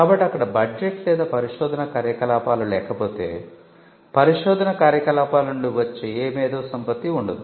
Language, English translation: Telugu, So, unless there is a budget or unless there is research activity there will not be any IP that comes out of research activity